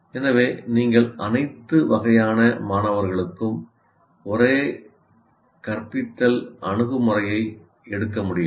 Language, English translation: Tamil, So you cannot take the same instructional approach to different, to all types of students